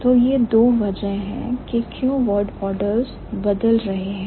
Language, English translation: Hindi, So, these are the two reasons why the word orders are changing